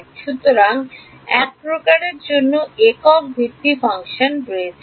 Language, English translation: Bengali, So, there is a single basis function for a single type